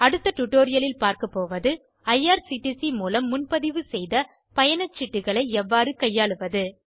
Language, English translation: Tamil, In the next tutorial we will discuss how to manage the tickets booked through IRCTC